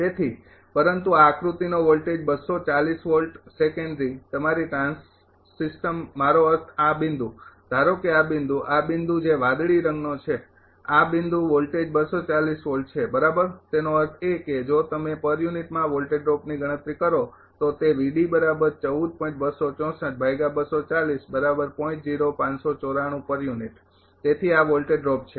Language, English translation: Gujarati, So, but voltage of this figure 240 volts secondary ah your trans system I mean this point suppose this point, this point that is blue colour this point voltage is 240 volt right ; that means, if you drop you compute in per unit it will be 14